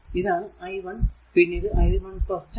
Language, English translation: Malayalam, So, it will be 10 into i 1 plus 10 , this is your i 1 this is i 1 plus 10 , right